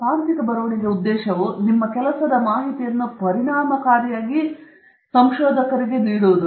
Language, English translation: Kannada, The purpose of technical writing is to give information of your work efficiently